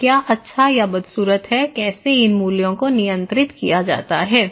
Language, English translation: Hindi, So, what is good ugly, how to control that one these values okay